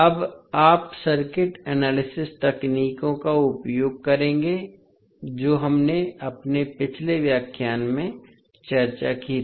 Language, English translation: Hindi, Now, you will use the circuit analysis techniques, what we discussed in our previous lectures